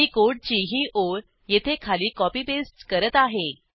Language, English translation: Marathi, I will copy this line of code and paste it below over here